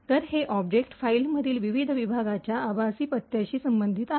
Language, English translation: Marathi, So, this corresponds to the virtual address for the various sections within the object file